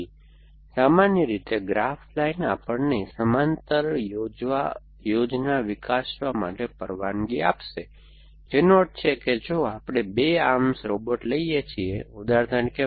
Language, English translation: Gujarati, So, graph line in general, will allow us to develop parallel plan which means if we are the 2 arms robot, for example